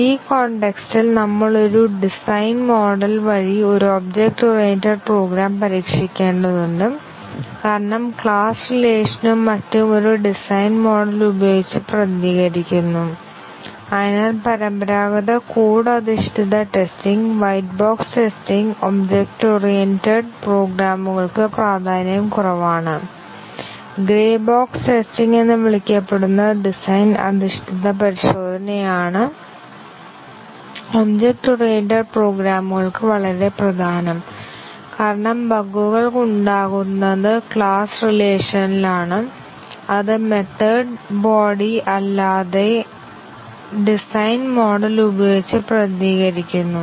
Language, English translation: Malayalam, In this context we have to test an object oriented program through its design model because the class relations and so on are represented using a design model and therefore, the traditional code based testing, white box testing is less significant for object oriented programs, what is much more important is the design based testing what is called as a grey box testing is very important for object oriented programs because bugs are much likely to be present in the class relations, which are represented using a design model rather than in the method body itself